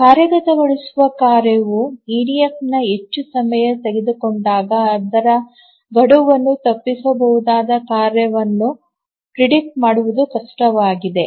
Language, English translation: Kannada, So, when an executing task takes more time in EDF, it becomes difficult to predict which task would miss its deadline